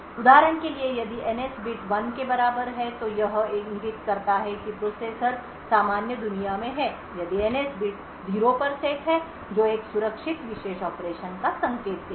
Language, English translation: Hindi, So, for instance if the NS bit is equal to 1 it indicates that the processor is in the normal world, if the NS bit is set to 0 that would indicate a secure world operation